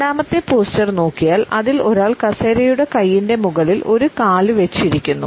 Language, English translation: Malayalam, If we look at the second posture; in which a person is sitting with a leg over the arm of the chair